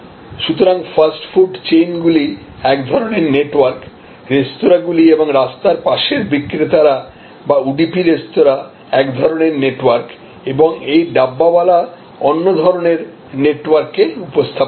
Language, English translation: Bengali, So, fast food chains represent a kind of network, the restaurants and road side vendors or another kind of networks including the udupi restaurant and so on and this Dabbawalas they represent another network